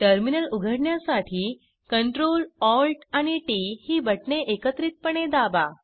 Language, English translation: Marathi, Please open the terminal window by pressing Ctrl, Alt and T keys simultaneously